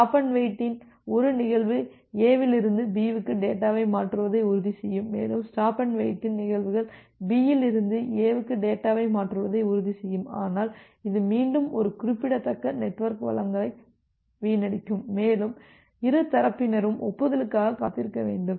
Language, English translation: Tamil, One instances of stop and wait will ensure one instances of stop and wait will ensure transferring of data from A to B and another instances of stop and wait will ensure transferring data from B to A, but this will again result in a significant waste of network resources that for both the side you have to wait for the acknowledgement